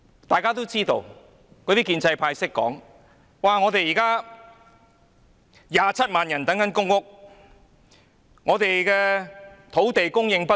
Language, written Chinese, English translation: Cantonese, 大家都知道，建制派議員也說，香港現時有27萬人輪候公屋，土地供應不足。, As we including pro - establishment Members all know 270 000 people are now waiting for public housing allocation and there is an acute shortage of land in Hong Kong